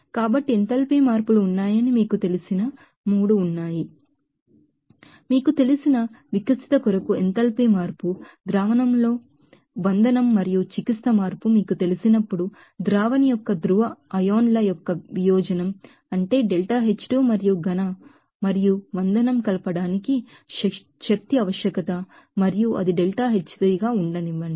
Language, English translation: Telugu, when is that the enthalpy change for the breaking up of you know, salute in the solution and in therapy change for the you know, dissociation of polar ions of the solvent, that is that deltaH2 and energy requirement for the mixing of solid and salute and let it be deltaH3